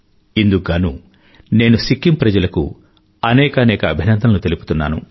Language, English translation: Telugu, For this, I heartily compliment the people of Sikkim